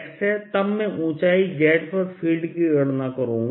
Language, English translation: Hindi, then i would take field at hight z